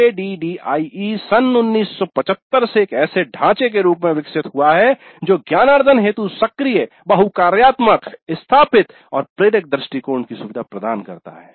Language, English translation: Hindi, ADE has evolved since 1975 into a framework that facilitates active, multifunctional situated and inspirational approaches to learning